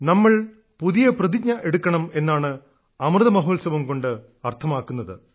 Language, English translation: Malayalam, And the Amrit Mahotsav of our freedom implies that we make new resolves…